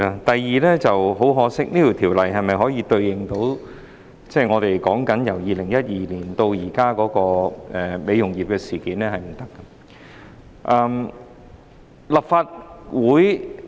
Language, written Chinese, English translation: Cantonese, 第二，很可惜，《條例草案》未能應對香港美容業自2012年至今事件頻生的情況。, Secondly it is unfortunate that the Bill fails to address the frequent occurrence of incidents in Hong Kongs beauty industry since 2012